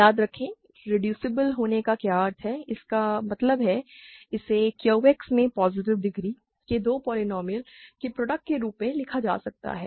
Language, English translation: Hindi, Remember, what is the meaning of being reducible that means, it can be written as product of two polynomial of positive degree in Q X